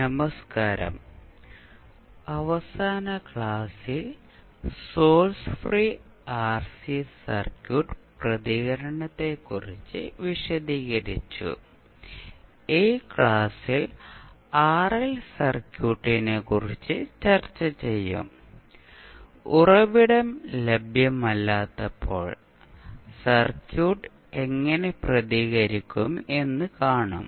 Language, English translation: Malayalam, Namashkar so, in last class we discus about source free RC circuit response, in this class we will discuss about the RL circuit, and we will particularly see, when the source in not available, how the circuit will respond